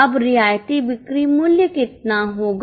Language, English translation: Hindi, Now how much will be concessional selling price